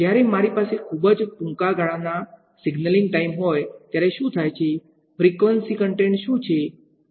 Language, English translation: Gujarati, There what happens when I have a very short lived signaling time, what is the frequency content